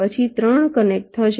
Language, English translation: Gujarati, then three will be connected